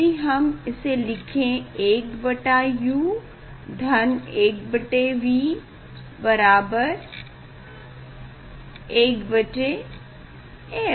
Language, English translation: Hindi, it is a like 1 by u plus 1 by v equal to 1 by f equal to 1 by f